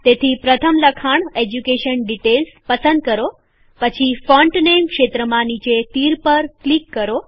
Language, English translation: Gujarati, So first select the text, Education details, then click on the down arrow in the Font Name field